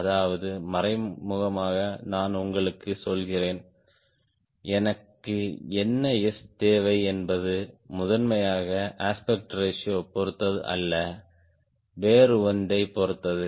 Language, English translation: Tamil, i am telling you the decision what s i need to have is not dependent on primarily on aspect ratio, is depending on something else